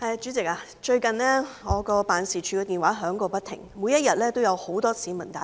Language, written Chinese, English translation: Cantonese, 主席，最近我的辦事處電話響個不停，每天也有很多市民來電。, President recently the telephone in my office keeps ringing . There are many calls from members of the public every day